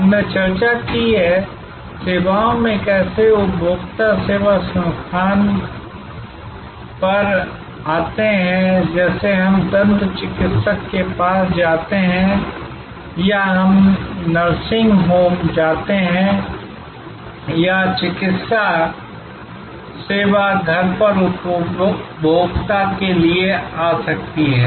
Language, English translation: Hindi, We have discussed how in services, consumers come to the service location like we go to the dentist or we go to a nursing home or the medical service can come to the consumer at home